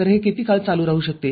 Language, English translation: Marathi, So, how long it continues